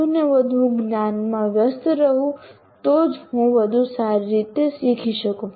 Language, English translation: Gujarati, If I am the more and more engaged with the knowledge, then only I will be able to learn better